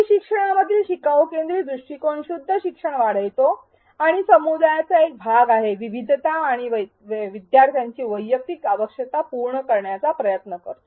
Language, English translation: Marathi, A learner centric approach in e learning does foster pure learning and being a part of a community, it attempts to cater to diversity and individual needs of learners